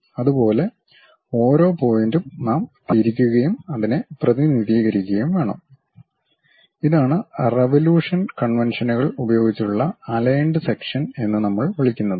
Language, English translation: Malayalam, Similarly, each and every point we have to rotate and represent it; that kind of thing what we call aligned section using conventions of revolution